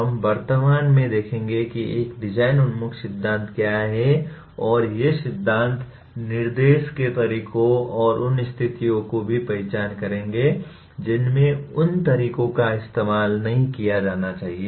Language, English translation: Hindi, We will presently see what a design oriented theory is and these theories will also identify methods of instruction and the situations in which those methods should and should not be used